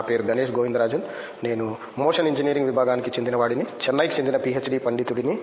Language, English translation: Telugu, My name is Ganesh Govindarajan, I am from Motion Engineering Department, PhD scholar from Chennai